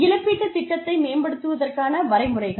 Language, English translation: Tamil, How do we develop a compensation plan